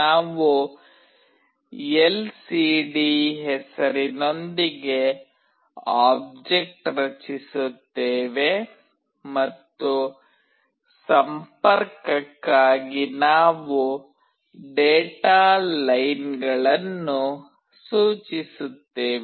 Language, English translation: Kannada, We create an object with the name lcd and we specify the data lines for connection